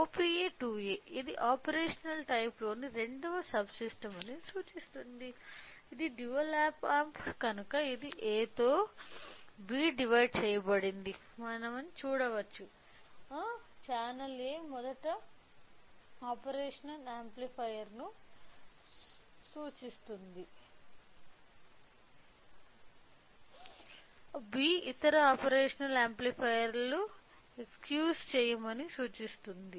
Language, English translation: Telugu, So, OPA 2A indicates this is the second subsystem on the operational type, A indicates since it is a dual op amp it has you know divided with A and B; channel A indicates the first operational amplifier, B indicates other operational amplifiers excuse me